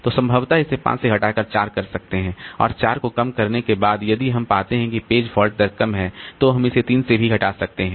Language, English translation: Hindi, And even after reducing to 4, if we find that the page fault rate is low, so we can even cut it down to 3